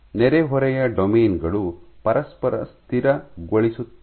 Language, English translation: Kannada, So, neighbours neighbouring domains stabilize each other